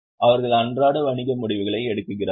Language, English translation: Tamil, They take day to day business decisions